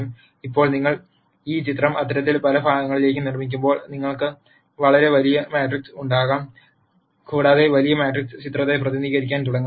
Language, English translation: Malayalam, Now, when you make this picture into many such parts you will have a much larger matrix and that larger matrix will start representing the picture